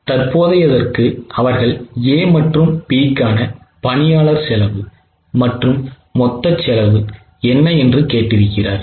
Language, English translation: Tamil, For current, they have asked what is a total employee cost for A and B and also total of the total